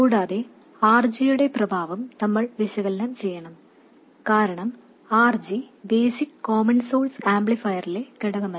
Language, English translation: Malayalam, Also, we have to analyze the effect of RG, because RG is not a component that is in the basic common source amplifier